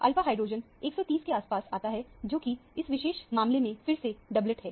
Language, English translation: Hindi, The alpha hydrogen comes around 130, which is again a doublet in this particular case